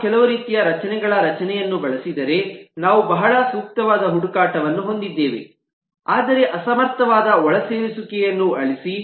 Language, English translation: Kannada, we all know that if we use some kind of array structure, we will have very optimal search but very inefficient insert delete